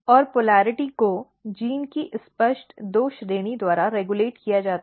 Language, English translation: Hindi, And polarity is regulated by a clear two category of the genes